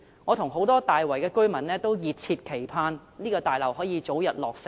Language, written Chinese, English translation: Cantonese, 我和大圍很多居民均熱切期盼這座大樓可以早日落成。, Many residents in Tai Wai and I eagerly look forward to the early completion of this complex